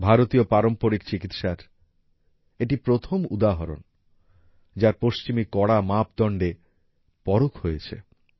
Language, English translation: Bengali, This is the first example of Indian traditional medicine being tested vis a vis the stringent standards of Western methods